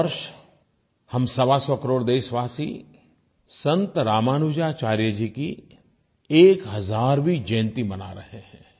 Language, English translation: Hindi, This year, we the hundred & twenty five crore countrymen are celebrating the thousandth birth anniversary of Saint Ramanujacharya